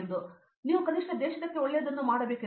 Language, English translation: Kannada, So, that you at least do something good for the country